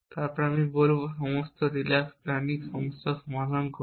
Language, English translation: Bengali, And then I will say have solve all the relax planning problem